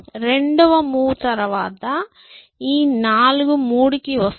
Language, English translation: Telugu, After the second move, this 4 will come down to 3